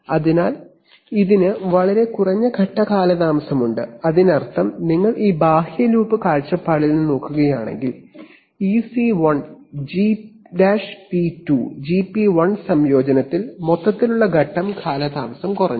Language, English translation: Malayalam, So this has much less phase lag, which means that if you look at it from an outer loop point of view this C1, G’p2, Gp1 combination the overall phase lag has now reduced